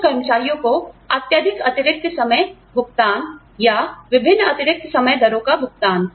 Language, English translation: Hindi, Excessive overtime payments, to some employees, or, payment of different overtime rates